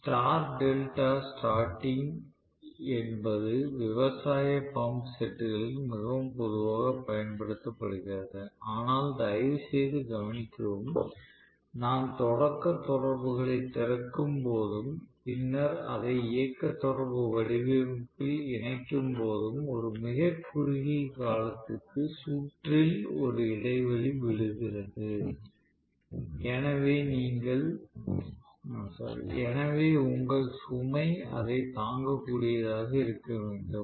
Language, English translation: Tamil, So star delta starting is very very commonly used in agricultural pump sets, but please note, when I am opening the starting contactors and later on connecting it in for running contactor format, there is break in the circuit for a very short while, so your load should be able to withstand that